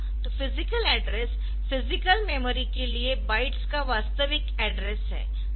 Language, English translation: Hindi, So, physical address is the address the actual address of the bytes for the physical memory